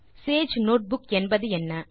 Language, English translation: Tamil, So what is Sage Notebook